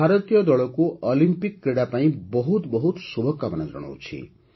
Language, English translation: Odia, I wish the Indian team the very best for the Olympic Games